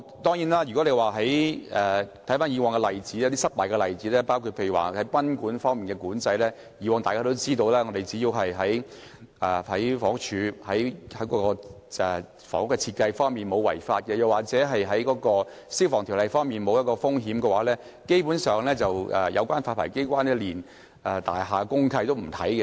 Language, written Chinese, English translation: Cantonese, 當然，我們看看以往的失敗例子，包括賓館發牌方面，以往只要大廈符合房屋署的要求，在房屋設計方面沒有違法，或《消防條例》方面沒有風險，有關發牌機關基本上連大廈公契都會不查看。, There are examples of failure in the past . For example in connection with guesthouse licensing in the past as long as the building complied with the requirement of the Housing Department and no irregularities were found in respect of building design or no risks were involved under the Fire Services Ordinance the licensing authority would not even examine DMC